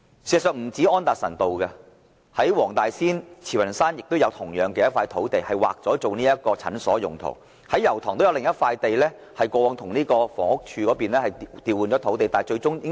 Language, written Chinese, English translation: Cantonese, 事實上，不單是安達臣道，在黃大仙和慈雲山同樣也有土地已劃作診所用途，而油塘也有另一幅土地，是過往與房屋署對調的土地。, In fact sites for building clinics have not only been earmarked in Anderson Road for some sites are also earmarked in Wong Tai Sin and Tsz Wan Shan . There is another site in Yau Tong which is a site swapped with the Housing Department in the past